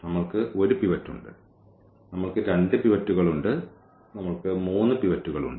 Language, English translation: Malayalam, We have one pivot, we have two pivots, we have three pivots